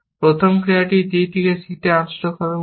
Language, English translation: Bengali, The first action will be unstack c from d, essentially